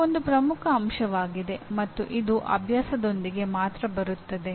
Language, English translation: Kannada, Okay, this is a major aspect and it comes only with the practice